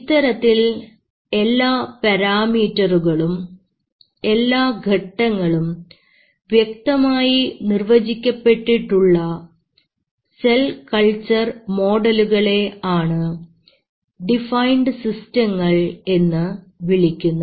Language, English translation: Malayalam, And the development of these kind of cell culture models where all the parameters are known, all the steps are known, how you do it are termed as the defined systems